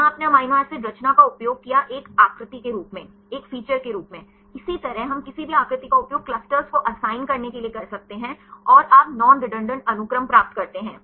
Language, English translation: Hindi, This here we used the amino acid composition as a feature; likewise we can use any feature to assign the clusters and you can obtain the non redundant sequences